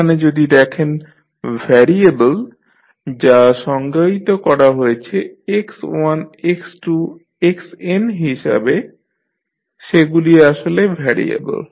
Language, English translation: Bengali, Here if you see the variable which you have defined like x1, x2, xn are the basically the variable